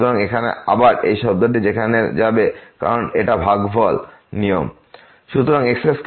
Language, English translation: Bengali, So, here again this term will go there because this quotient rule